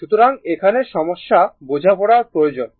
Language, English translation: Bengali, So, little bit understanding is required